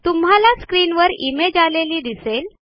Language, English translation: Marathi, This will display an image